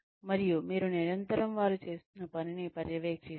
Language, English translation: Telugu, And you are constantly monitoring the work, that they are doing